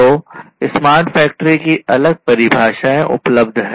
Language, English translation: Hindi, So, there are different different definitions of smart factory that is available